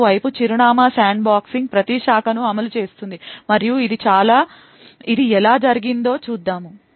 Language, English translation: Telugu, The Address Sandboxing on the other hand enforces every branch and let us sees how this is done